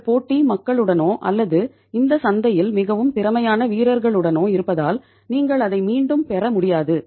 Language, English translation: Tamil, You would not be able to regain it because your competition is with the people or with the players who are very efficient in this market